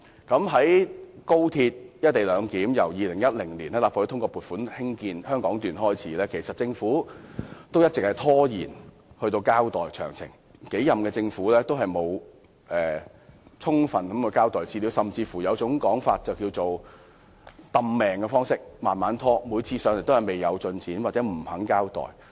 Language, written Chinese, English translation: Cantonese, 自從立法會於2010年通過撥款興建廣深港高鐵香港段，政府便一直拖延交代"一地兩檢"的詳情，多任政府均沒有充分交代資料，有人甚至懷疑政府刻意拖延，官員每次前來立法會都只說方案未有進展，又或不肯交代。, Since the Legislative Council approved the funding application for the construction of the Hong Kong Section of XRL in 2010 the Government had delayed giving details of the co - location arrangement . The governments of various terms had not given a full account of the arrangement . There were doubts that the delay was deliberate because whenever government officials came to the Legislative Council they always said that no progress had been made with regard to the co - location proposal or they were unwilling to give an account